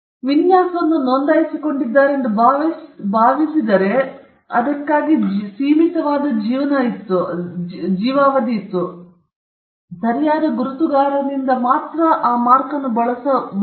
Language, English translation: Kannada, If they had assumed that they had registered a design, and there was a limited life for it, it would come and go, but the mark can always and only be used by the right holder